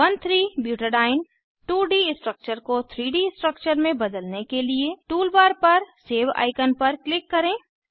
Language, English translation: Hindi, To convert 1,3 butadiene 2D structure to 3D structure, click on the Save icon on the tool bar